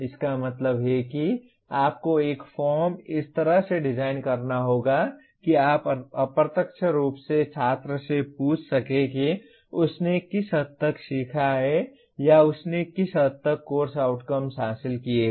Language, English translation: Hindi, That means you have to design a form in such a way that you indirectly ask the student to what extent he has learnt or he has attained the course outcomes